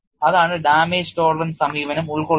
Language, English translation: Malayalam, That is what damage tolerance approach encompasses